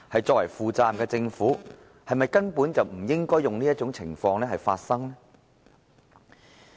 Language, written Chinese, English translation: Cantonese, 作為負責任的政府，是否根本不應該讓這種情況發生呢？, A responsible government should not have allowed such a situation to happen in the first place should it?